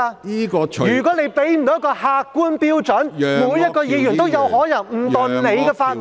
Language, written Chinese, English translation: Cantonese, 如果你不能提供一個客觀標準，每位議員都有可能誤墮你的法網。, If you cannot provide us with an objective standard all Members may be caught by your ruling inadvertently